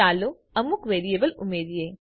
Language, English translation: Gujarati, Let us add some variables